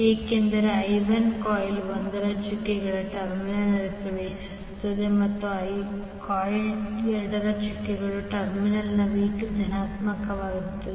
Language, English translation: Kannada, Because I1 enters the doted terminal of the coil 1 and V2 is positive at the doted terminal of coil 2